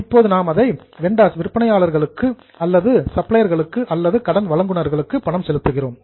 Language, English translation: Tamil, Now, we have to pay those vendors or suppliers or creditors